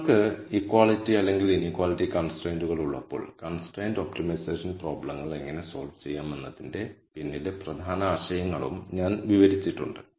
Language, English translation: Malayalam, I have also described the key ideas behind how to solve constrained optimization problems when you have equality and inequality constraints